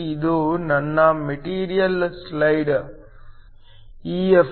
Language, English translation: Kannada, This is my metal side EF